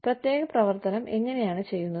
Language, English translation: Malayalam, How particular activity is done